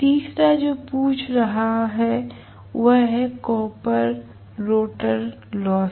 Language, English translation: Hindi, The third 1 that is being asked is rotor copper loss